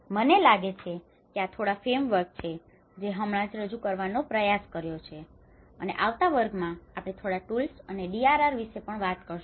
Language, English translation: Gujarati, I think these are a few frameworks I just tried to introduce and in the coming class we will also talk about a few tools and DRR